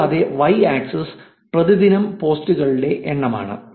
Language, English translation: Malayalam, And y axis is the number of posts per day